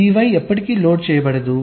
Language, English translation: Telugu, this y will never get loaded